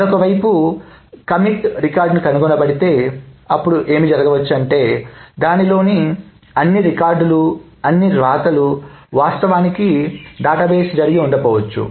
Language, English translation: Telugu, If on the other hand, the committee record is found, then what may happen is that not all the records, not all the rights in that may have actually traversed to the database